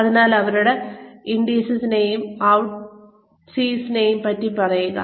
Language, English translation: Malayalam, So, tell them about, the ins and outs